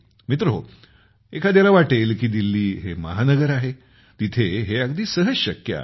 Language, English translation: Marathi, Friends, one may think that it is Delhi, a metro city, it is easy to have all this here